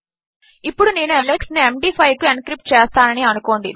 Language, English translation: Telugu, Lets say I encrypt alex to Md5